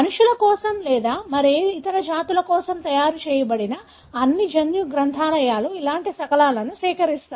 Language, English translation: Telugu, So, all the genomic libraries that are made for human or any other species, have collection of such fragments